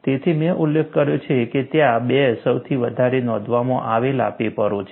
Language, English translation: Gujarati, So, I mentioned that, there are 2 most quoted papers and what was the other paper